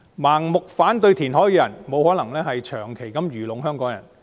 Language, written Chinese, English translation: Cantonese, 盲目反對填海的人，不可能長期愚弄香港人。, Those who blindly oppose reclamation cannot fool the people of Hong Kong for long